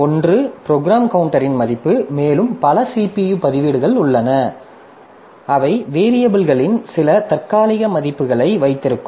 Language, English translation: Tamil, One is the value of the program counter that is there, plus there are a number of CPU registers that will be holding some of the temporary values for the variables